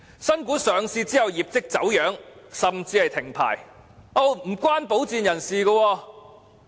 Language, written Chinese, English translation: Cantonese, 新股上市後業績走樣甚至停牌，均與保薦人無關。, Sponsors will not be responsible for the underperformance or even suspension of trading of new shares after they have been listed